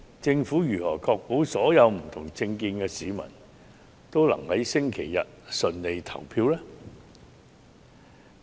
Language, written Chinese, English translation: Cantonese, 政府如何確保所有不同政見的市民均能在周日順利投票呢？, How will the Government ensure that people of different political stances can cast their votes on that day without running into any trouble?